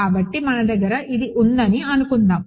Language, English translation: Telugu, So, let us say we have this, right